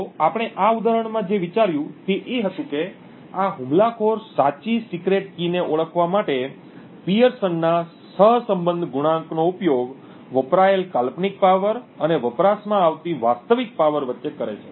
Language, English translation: Gujarati, So, what we considered in this example was that the attacker uses the Pearson’s correlation coefficient between a hypothetical power consumed and the actual power consumed in order to identify the correct secret key